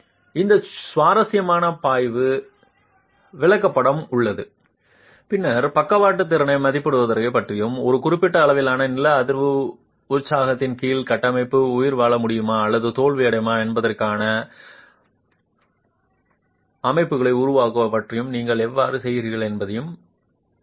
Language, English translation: Tamil, There is this interesting flow chart which then actually captures how you go about estimating the lateral capacity and make checks on whether the structure would be able to survive or fail under a given level of seismic excitation